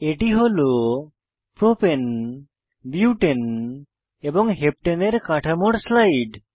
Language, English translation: Bengali, Here is slide for the structures of Propane, Butane and Heptane